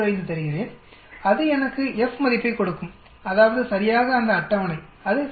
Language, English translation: Tamil, 05 it will give me the F value, that means, exactly that table that is FINV